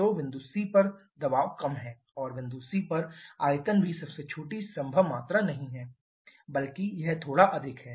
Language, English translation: Hindi, So, the pressure at Point c is lower and also the volume at Point c is not the smallest possible volume rather it is a bit higher